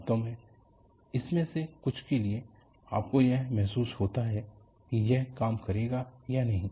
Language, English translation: Hindi, In fact, for some of these, you have a gut feeling whether it will work or not